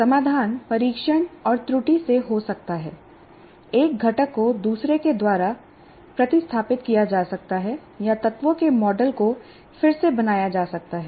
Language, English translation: Hindi, The solution may be by trial and error or replacement of one component by another or I completely re what you call create my models of the elements and so on